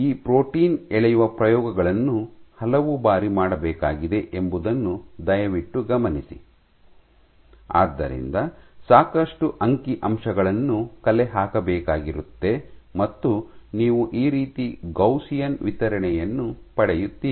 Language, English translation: Kannada, So, please note that these protein pulling experiments have to be done several times, So, as to generate enough statistics, and that is how you will get the Gaussian distribution